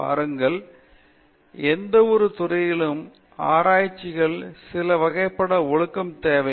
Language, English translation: Tamil, See, research in any discipline requires certain kind of discipline